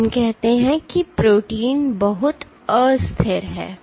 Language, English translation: Hindi, So, let us say that the protein is very unstable